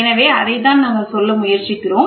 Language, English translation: Tamil, So, that is what we are trying to say